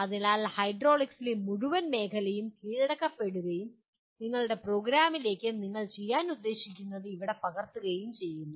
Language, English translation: Malayalam, So the entire field of hydraulics is captured and specifically what you are planning to do to your program is captured here